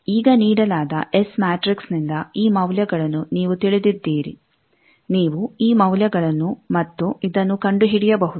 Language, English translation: Kannada, Now, you know these values from the S matrix given you can find these values and this